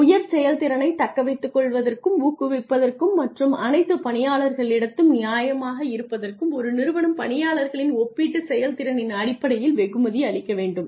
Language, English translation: Tamil, And to attract retain and motivate high performers and to be fair to all employees a company needs to reward employees on the basis of their relative performance